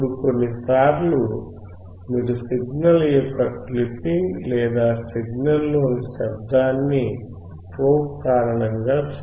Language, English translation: Telugu, Now, sometimes you will be looking at the clipping of the signal or the noise in the signal that may be due to the probe